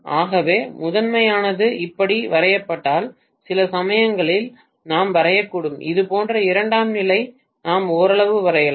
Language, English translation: Tamil, So that is the reason sometimes we may draw if the primary is drawn like this we may draw the secondary somewhat like this